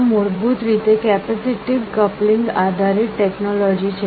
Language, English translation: Gujarati, This is basically a technology based on capacitive coupling